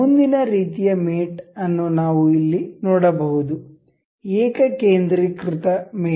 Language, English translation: Kannada, The next kind of mate we can see here is concentric mate